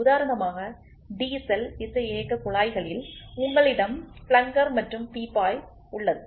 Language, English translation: Tamil, For example, in diesel injection pumps you have plunger and barrel